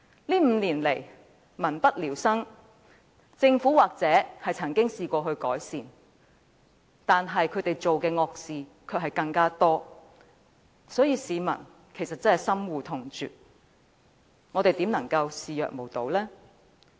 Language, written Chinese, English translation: Cantonese, 這5年來民不聊生，政府也許亦曾嘗試改善，但它所做的惡事更多，市民深惡痛絕，我們又怎能視若無睹？, People have been living in dire conditions in the past five years . The Government may have tried to improve their conditions but it has done even more evil things which are utterly abhorred and detested by the people . How can we turn a blind eye to that?